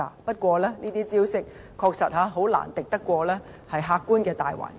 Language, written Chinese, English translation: Cantonese, 不過，這些招數確實難敵客觀的大環境。, Nonetheless these measures can hardly beat the objective macroeconomic environment